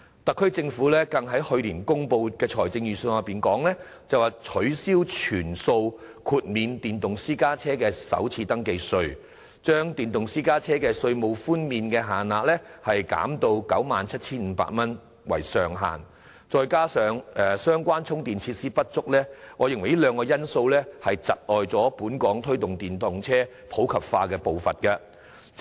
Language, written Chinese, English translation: Cantonese, 特區政府更於去年公布的財政預算案中，取消全數豁免電動私家車首次登記稅的措施，把電動私家車的稅務寬免限額削減至以 97,500 元為上限，加上相關充電設施不足，我認為這是窒礙本港推動電動車普及化步伐的兩大因素。, In the Budget announced last year the SAR Government has even abolished the full waiver of first registration tax for electric private cars and capped the tax concession amount at 97,500 . Together with the inadequacy of charging facilities I think these are two major factors impeding the pace of promoting the popularization of EVs in Hong Kong